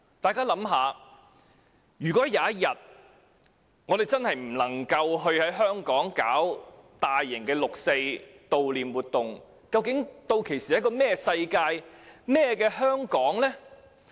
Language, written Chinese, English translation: Cantonese, 大家想想，如果有一天真的不能在香港舉行大型悼念六四的活動，究竟屆時會是怎麼樣的世界？, Come to think about this . If major events cannot be held in Hong Kong to commemorate 4 June one day what will the world be like?